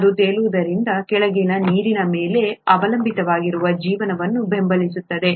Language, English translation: Kannada, Because it floats, the water below can support life that depends on water